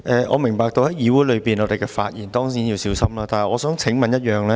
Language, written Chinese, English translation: Cantonese, 我明白在議會內發言當然要小心，但我想提出一個問題。, I understand that we certainly have to exercise care when speaking in the Council but I would like to raise a question